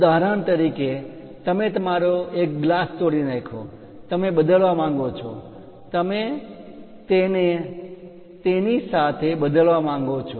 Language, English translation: Gujarati, For example you broke your one of the glass, you would like to replace it this one you would like to replace it